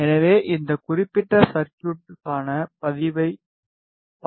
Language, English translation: Tamil, So, let us see the response of this particular circuit